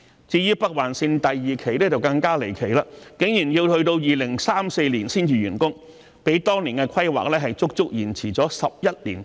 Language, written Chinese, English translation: Cantonese, 至於北環綫第二期的時間表則更離奇，竟然要到2034年才完工，較當年的規劃整整延遲了11年之久。, As for Phase 2 of the Northern Link the timetable is even more peculiar as the construction is actually due to be completed in 2034 a delay of 11 years compared to the original plan